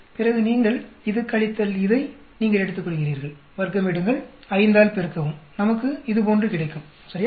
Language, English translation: Tamil, And then you take this minus this, square, multiply by 5, we get like this right